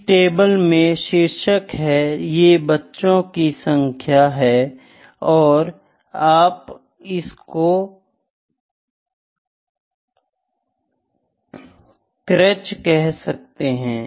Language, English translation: Hindi, This table has to have the heading this is number of kids you can say call it creche, ok